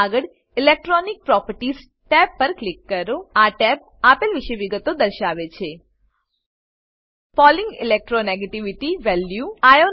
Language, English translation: Gujarati, Next click on Electronic properties tab This tab shows details about Pauling electro negativity value